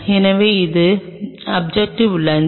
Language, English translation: Tamil, So, this is the objective lens